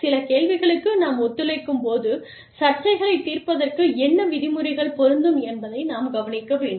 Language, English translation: Tamil, When we collaborate, some questions, that we need to address are, what rules will apply, to the resolution of disputes